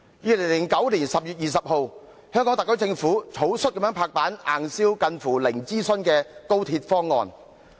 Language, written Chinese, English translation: Cantonese, 2009年10月20日，香港特區政府草率地"拍板"硬銷近乎零諮詢的高鐵方案。, On 20 October 2009 the Hong Kong SAR Government lightly decided to hard - sell the proposal of co - location arrangement for XRL for which almost zero consultation was conducted